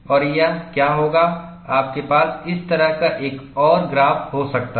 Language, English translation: Hindi, And you could have a graph something like this